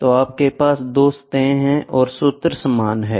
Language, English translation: Hindi, So, you have 2 surfaces, the formula is the same